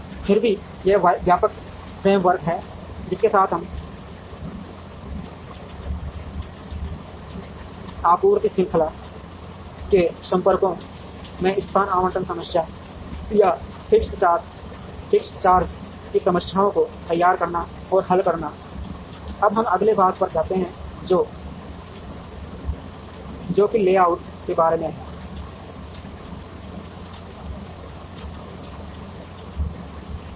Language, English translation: Hindi, Nevertheless, this is the broad frame work with, which we formulate and solve location allocation problems or fixed charge problems in the contacts of the supply chain, we now move on to the next part, which is about the layout